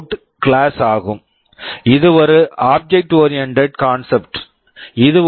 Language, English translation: Tamil, This PwmOut is the class; this is an object oriented concept